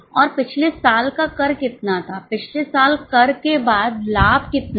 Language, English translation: Hindi, And how much was last year's tax, last year's profit after tax